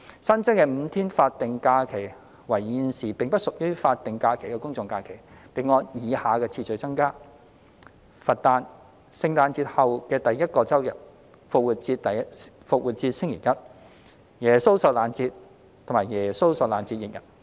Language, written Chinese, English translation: Cantonese, 新增的5天法定假日為現時並不屬於法定假日的公眾假期，並按以下次序增加：佛誕、聖誕節後第一個周日、復活節星期一、耶穌受難節和耶穌受難節翌日。, The five additional days of SHs should fall on GHs that are currently not SHs and increase in the following sequence the Birthday of the Buddha the first weekday after Christmas Day Easter Monday Good Friday and the day following Good Friday